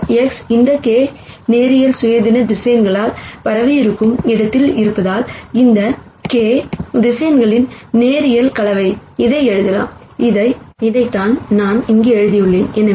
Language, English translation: Tamil, And because this X hat is in a space spanned by this k linearly independent vectors, I can write this as a linear combination of these k vectors; which is what I have written here